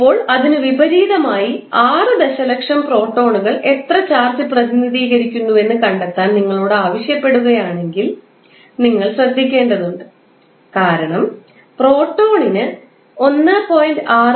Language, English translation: Malayalam, Now, opposite to that if you are asked to find out how much charge is being represented by 6 million protons then you have to be careful that the proton will have charge positive of 1